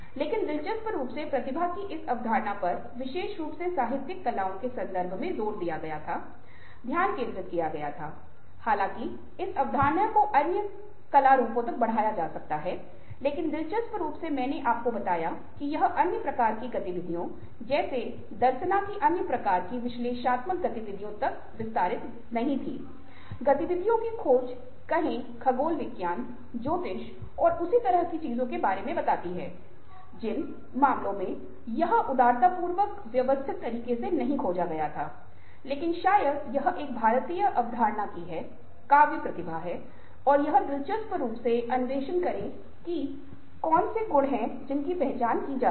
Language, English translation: Hindi, but interestingly, this concept of prathiva was emphasised or focused especially in the context of literary arts, although the concept can be extended to other art forms, but interestingly, as i told you, it was not extended to the other kinds of ah activities like darsana, other kinds of analytical activities like ah, exploring ah, lets say, astronomy, astrology and things like that ah, in which cases it was generically ah, not explored in a systematic way, but probably this is the indian concept of ah a poetic genius o a genius of any kind, and it would be interesting to explore what are the qualities that are identified there may be